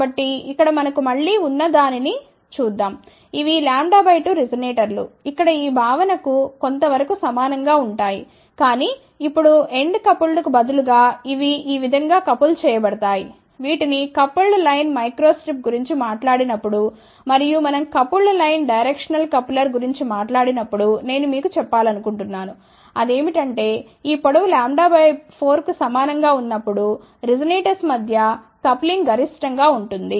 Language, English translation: Telugu, So, here let us see what we have again these are lambda by 2 resonators, somewhat similar to this concept over here, but now instead of end coupled like this they are coupled like this, when we are talked about the coupled line micro strip and we had also talked about coupled line directional coupler I had mentioned to you, that the coupling is maximum between the resonators, when this length is equal to lambda by 4